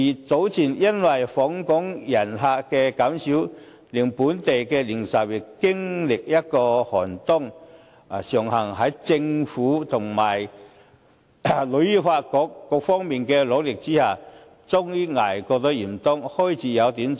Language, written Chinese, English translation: Cantonese, 早前因為訪港旅客減少，令本地零售業經歷了一個寒冬，尚幸在政府及香港旅遊發展局等各方面的努力之下，終於捱過了嚴冬，現在開始有點春意。, Earlier on due to a drop in the number of visitors to Hong Kong local retail industries experienced an inclement winter . It is fortunate that with the help of the Government and the Hong Kong Tourism Board the industries survived the inclement winter and we begin to feel a touch of spring at present